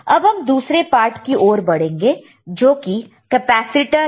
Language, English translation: Hindi, Let us move to the another part which is the capacitor